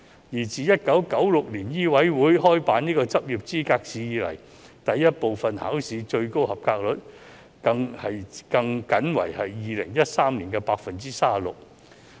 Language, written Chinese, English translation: Cantonese, 而自1996年醫委會開辦執業資格試後，第一部分考試的及格率最高為2013年的 36%。, Since MCHK introduced the Licensing Examination in 1996 the highest pass rate for Part I was 36 % in 2013